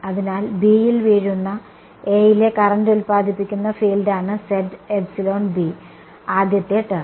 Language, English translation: Malayalam, So, z belonging to B first term is the field produced by the current in A falling on B right